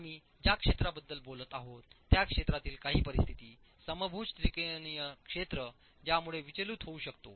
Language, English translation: Marathi, Some other conditions where the region that we are talking of, the equilateral triangular region that we are talking of, can get disturbed